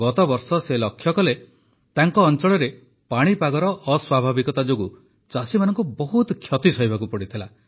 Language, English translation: Odia, Last year he saw that in his area farmers had to suffer a lot due to the vagaries of weather